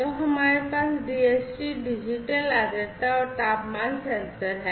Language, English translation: Hindi, So, we have the DHT digital Digital Humidity and Temperature sensor DHT sensor